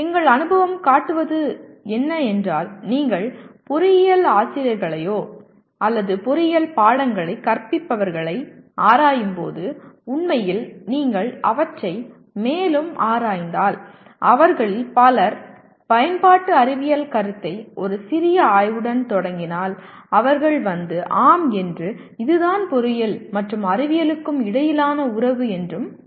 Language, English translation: Tamil, And actually our experience shows when you probe engineering teachers or those who are teaching engineering subjects, if you probe them further while many of them start with the concept of applied science with a little probing they will come and say yes this is what the relationship between engineering and science